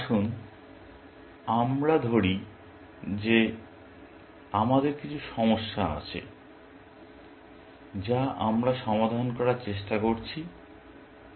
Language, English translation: Bengali, Let us say that we have some problem, which we are trying to solve